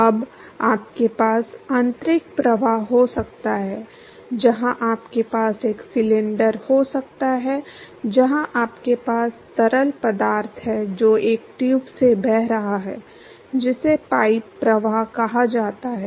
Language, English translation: Hindi, Now, you could have internal flows, where you could have a cylinder, where you have fluid which is flowing through a tube, called the pipe flow